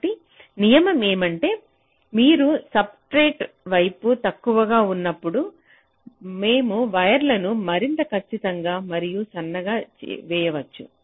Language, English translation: Telugu, so the rule is that when you are lower towards the substrate, we can lay the wires much more accurately and thinner